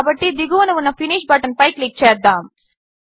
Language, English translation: Telugu, For now, we are done, so let us click on the finish button at the bottom